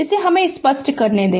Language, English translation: Hindi, Let me clear